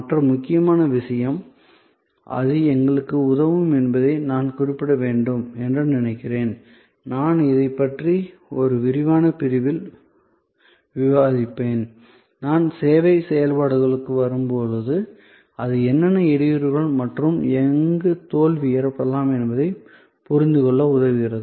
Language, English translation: Tamil, So, the other important point, I think I should mention that it also help us and I will discuss this in a detail section, when I come to service operations is that, it helps us to understand that which other bottleneck points and where failure can happened